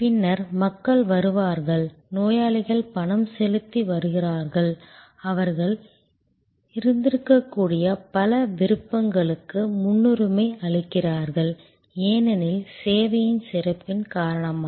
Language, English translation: Tamil, Then, people would come, paying patients would come in preference to many other options they might have had, because of the service excellence